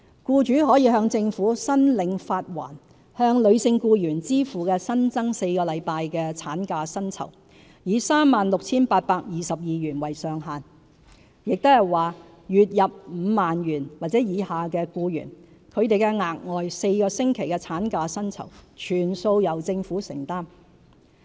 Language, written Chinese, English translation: Cantonese, 僱主可向政府申領發還向女性僱員支付的新增4星期產假薪酬，以 36,822 元為上限，即是說月入 50,000 元或以下的僱員，她們的額外4星期產假薪酬全數由政府承擔。, Employers may apply to the Government for reimbursement of the additional four weeks statutory maternity leave pay which will be capped at 36,822 . That is to say for employees with a monthly income of 50,000 or below the additional four weeks statutory maternity leave pay will be borne by the Government in full